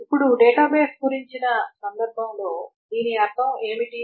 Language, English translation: Telugu, Now what does it mean in that context of a database